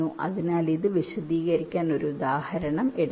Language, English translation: Malayalam, ok, so let take an example to explain this